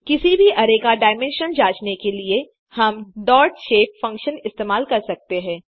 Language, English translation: Hindi, To check the dimensions of any array, we can use dotshape function